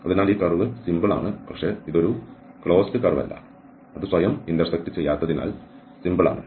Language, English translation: Malayalam, So, this curve is simple but it is not a closed curve, it is simple because it is not intersecting itself